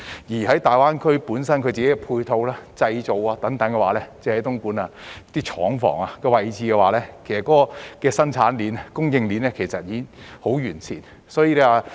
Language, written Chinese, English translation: Cantonese, 至於大灣區本身的配套及製造等，單是東莞廠房的位置，其實生產鏈及供應鏈已經十分完善。, As for the supporting and manufacturing facilities in GBA the locations as well as the production and supply chains of factories in Dongguan are indeed very comprehensive